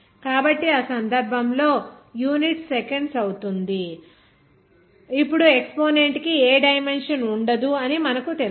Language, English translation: Telugu, so, in that case, the unit will be seconds Now as we know that the exponent will not have any dimension